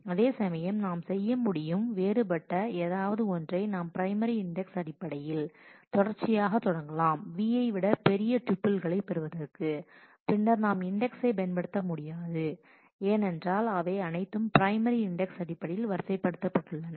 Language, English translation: Tamil, Whereas, we can do something different also we can just start sequentially based on the primary index from the beginning and check for the till we get a tuple which is greater than v and then we do not use the index we can simply we know because these are all ordered in terms of the primary index